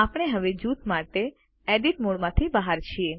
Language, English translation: Gujarati, We are now out of the Edit mode for the group